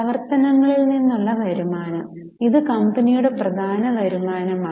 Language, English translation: Malayalam, Revenue from operations, this is the main income for the company